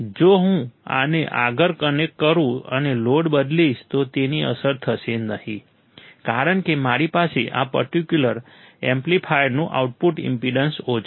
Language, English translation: Gujarati, If I connect this further and change the load, it will not be affected because I have low output impedance of this particular amplifier